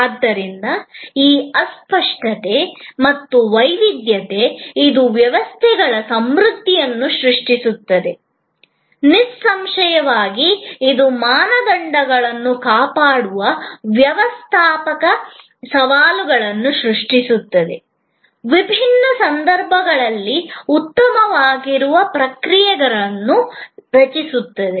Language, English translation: Kannada, So, this intangibility and heterogeneity, which creates a plethora of variances; obviously, it creates a managerial challenge of maintaining standards, of creating processes that will hold good under difference situations